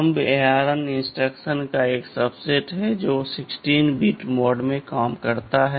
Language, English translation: Hindi, Thumb means thumb is a subset of the of the ARM instructions, which works in 16 bit mode